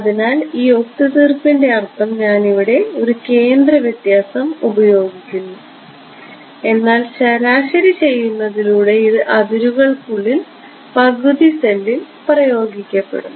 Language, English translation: Malayalam, So, that is the meaning of this compromise I am using a centre difference I am interpreting it as a centre difference, but it is being by doing this averaging it is being imposed half a cell inside the boundary